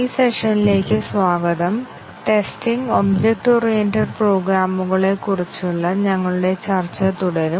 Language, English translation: Malayalam, Welcome to this session, we shall continue our discussion on Testing Object Oriented Programs